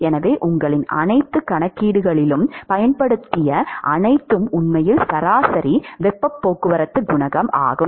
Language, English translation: Tamil, So, all along what you have used in all your calculations etcetera is actually the average heat transport coefficient